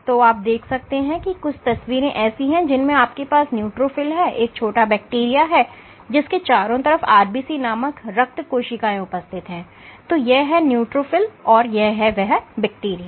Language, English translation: Hindi, So, what you would find is pictures somewhat like this, you have a neutrophil, you have a tiny bacteria and surrounded by these are RBCs, this is your neutrophil and this is your bacteria